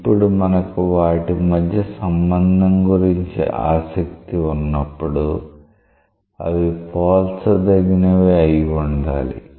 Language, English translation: Telugu, Now, when we are interested about a relationship, they must be comparable